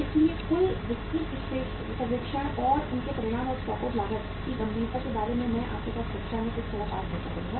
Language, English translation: Hindi, So the total detailed survey and their outcome and the uh say say the seriousness of the stock out cost I will discuss with you sometime in the class later on